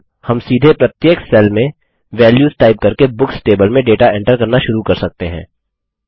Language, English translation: Hindi, Now we can start entering data into the Books table, by typing in values directly into each cell